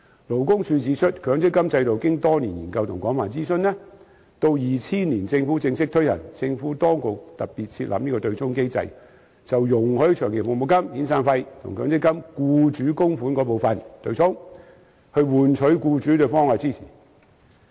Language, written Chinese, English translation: Cantonese, 勞工處指出，強積金制度經多年研究和廣泛諮詢，到2000年政府正式推行，政府當局特別設立對沖機制，容許長期服務金及遣散費與強積金僱主供款部分對沖，以換取僱主對制度的支持。, As pointed out by the Labour Department the MPF System was the result of years of study and extensive consultation and was officially launched by the Government in 2000 at which time the Administration specially introduced the offsetting mechanism to allow long service payments and severance payments to be offset against employers MPF contributions . This was done in exchange for the support of employers for the system